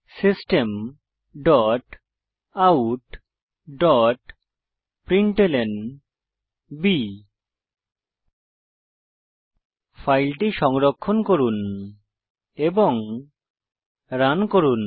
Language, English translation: Bengali, System dot out dot println Save the file and run it